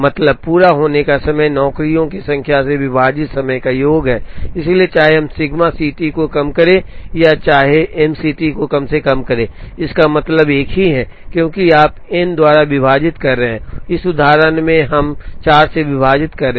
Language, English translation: Hindi, Mean completion time is sum of completion times divided by the number of jobs, so whether we minimize sigma C T or whether we minimize M C T, it means the same, because you are dividing by n and in this example, we are dividing by 4